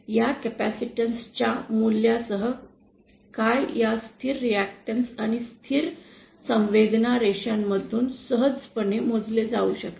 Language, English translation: Marathi, Now what with the values of these capacitance can easily be computed from this constant reactance and constant susceptance line